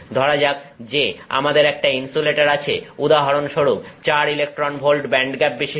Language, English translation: Bengali, Let's assume that we have an insulator for example, 4 electron volts